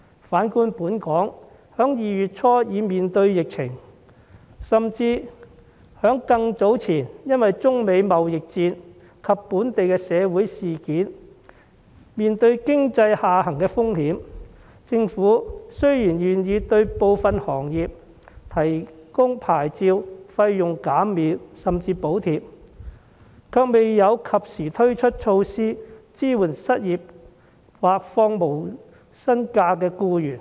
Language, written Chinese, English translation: Cantonese, 反觀香港在2月初已爆發疫情，甚至更早前因為中美貿易戰及本地的社會事件，已面對經濟下行的風險，雖然政府願意對部分行業提供牌照費用減免甚至補貼，卻未有及時推出措施支援失業或放取無薪假的僱員。, On the contrary in Hong Kong where the epidemic broke out in early February and the risk of economic downturn already existed due to the China - United States trade war and local social events happened earlier the Government although agreed to provide licence fee reductions or even subsidies to some industries has not introduced prompt measures to support the unemployed or employees taking unpaid leave